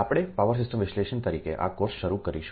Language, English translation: Gujarati, so ah will start this course as power system analysis and ah